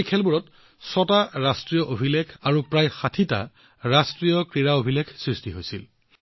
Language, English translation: Assamese, Six National Records and about 60 National Games Records were also made in these games